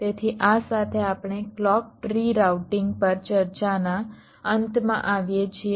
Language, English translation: Gujarati, we come to the end of a discussion on clock tree routing